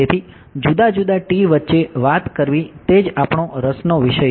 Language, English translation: Gujarati, So, to speak between the different T’s that is what we are interested in